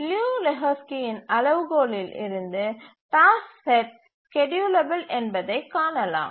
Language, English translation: Tamil, So from the Liu Lehusky's criterion we can see that the task set is schedulable